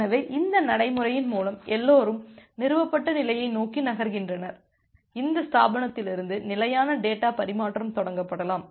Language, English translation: Tamil, So, that way through this procedure everyone is moving towards the established state and from this establishment state data transfer can get initiated